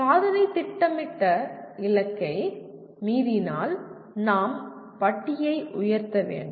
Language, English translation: Tamil, If the achievement exceeds the planned target, we need to raise the bar